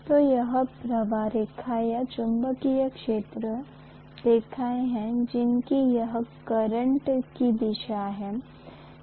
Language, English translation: Hindi, So this is the flux line or magnetic field lines whereas this is the current direction